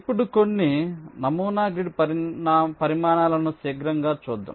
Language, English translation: Telugu, now lets take a quick look at some sample grid sizes